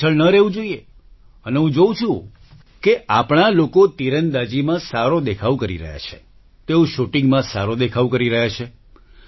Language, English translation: Gujarati, And I'm observing that our people, are doing well in archery, they are doing well in shooting